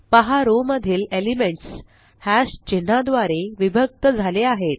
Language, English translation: Marathi, Notice that the elements in a row are separated by one hash symbol